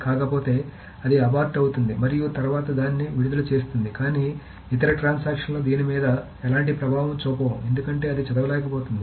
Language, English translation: Telugu, Otherwise, of course, it just aborts and then releases it, but then no other transaction will have any effect on this because it cannot read